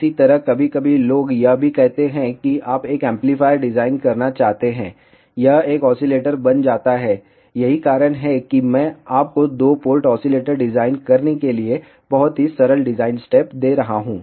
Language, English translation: Hindi, Similarly, sometimes people also say you want to design an amplifier, it become an oscillator that is why I am giving you very simple design steps for designing a two port oscillator